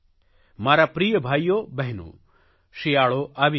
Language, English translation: Gujarati, My dear brothers and sisters, the winters are about to start